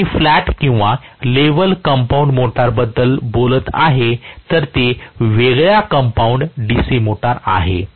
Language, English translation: Marathi, If I am talking about the flat or level compounded motor, it is a differentially compounded DC motor, right